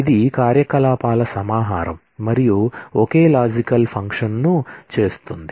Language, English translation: Telugu, It is a collection of operations and performs a single logical function